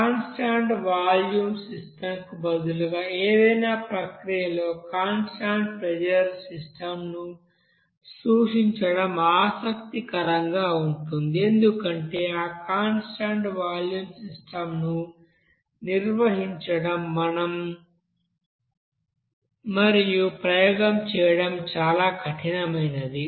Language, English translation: Telugu, So it is interesting that here that constant pressure system you know always to be you know referred in any process instead of constant volume system because you know to maintain that constant volume system and doing the experiment it is very tough